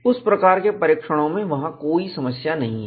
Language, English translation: Hindi, Those kind of tests, there is no problem